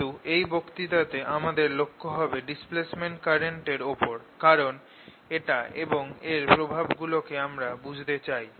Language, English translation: Bengali, in this lecture, however, our focus is going to be the displacement current, because we want to understand this and understand displacement current and its effects